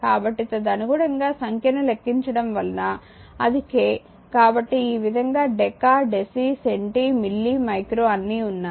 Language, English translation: Telugu, So, accordingly number accordingly numbering you can make it right it is k so, these way your deka, desi, centi, milli, micro all